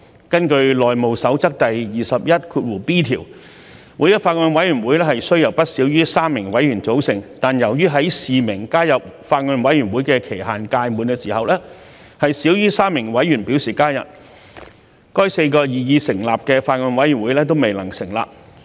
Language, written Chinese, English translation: Cantonese, 根據《內務守則》第 21b 條，每一個法案委員會須由不少於3名委員組成，但由於在示明加入法案委員會的期限屆滿時，少於3名委員表示加入，該個擬議成立的法案委員會未能成立。, Under rule 21b of the House Rules a Bills Committee shall consist of not less than three Members . But after expiry of the deadline for the signification of membership of the Bills Committee less than three Members had signified their intention to join the Bills Committee thus the proposed Bills Committee was unable to be established